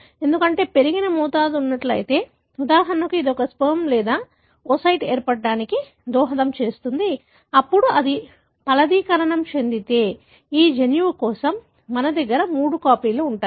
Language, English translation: Telugu, Because, if there is a increased dosage, for example this contributes to the formation of a, either a sperm or a oocyte, then if it fertilizes, for this gene we are going to have three copies